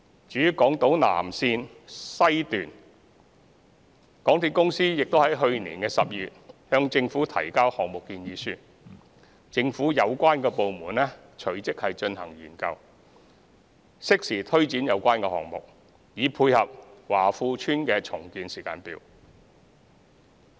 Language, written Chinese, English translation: Cantonese, 至於南港島綫，港鐵公司已於去年12月向政府提交項目建議書，政府有關部門隨即進行研究，適時推展有關項目，以配合華富邨的重建時間表。, As regards the South Island Line West MTRCL submitted the project proposal to the Government in December last year . The relevant government departments have since commenced studies and will take forward the projects concerned in due course to tie in with the timetable for the redevelopment of Wah Fu Estate